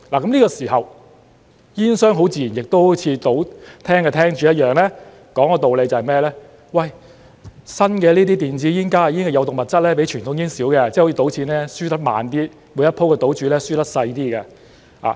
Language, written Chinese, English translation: Cantonese, 這時候，煙商很自然亦會如賭廳的廳主一樣說道理："這些新的電子煙、加熱煙的有毒物質比傳統煙少，即好像賭錢一樣，輸得慢一點，每一回的賭注會輸得少一點"。, Then naturally tobacco companies will present their justifications just like what gambling hall operators do saying These new e - cigarettes and HTPs contain fewer toxicants than conventional cigarettes . It is like gambling . You are losing money slowly and losing less stake in each round